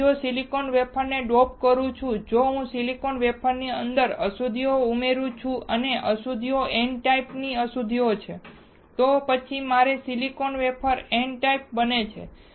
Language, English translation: Gujarati, Now, if I dope the silicon wafer, if I add the impurities inside the silicon wafer and the impurities are n type impurities, then my silicon wafer becomes n type